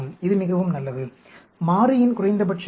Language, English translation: Tamil, It is very very good, minimum number of variable